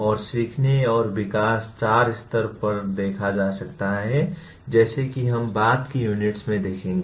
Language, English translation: Hindi, And learning and development as we will see in later units can be looked at 4 levels